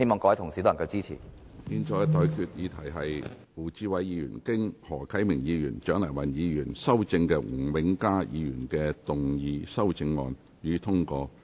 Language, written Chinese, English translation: Cantonese, 我現在向各位提出的待議議題是：胡志偉議員就經何啟明議員及蔣麗芸議員修正的吳永嘉議員議案動議的修正案，予以通過。, I now propose the question to you and that is That Mr WU Chi - wais amendment to Mr Jimmy NGs motion as amended by Mr HO Kai - ming and Dr CHIANG Lai - wan be passed